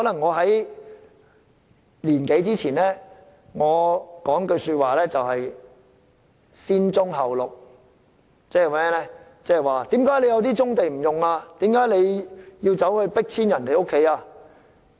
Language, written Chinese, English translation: Cantonese, 一年多前，我經常會說"先棕後綠"，問為何不先發展棕地而要將村民迫遷？, A year or so ago I often insisted on developing brownfield sites first Green Belt sites later . I queried why brownfield sites were not developed first so that villagers would not be forced to move out